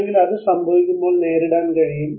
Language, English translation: Malayalam, Or be able to cope up when it happens